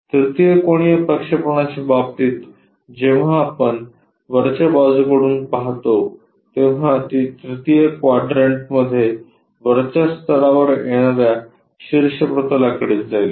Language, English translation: Marathi, In case of 3rd angle projection, when you are looking from top, it will be projected onto that top plane in the 3rd quadrant it comes at top level